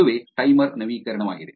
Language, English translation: Kannada, That is the timer update